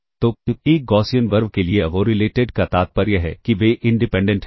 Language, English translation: Hindi, So, for a Gaussian RV uncorrelated implies that they are independent